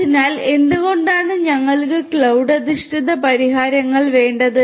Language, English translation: Malayalam, So, why do we need cloud based solutions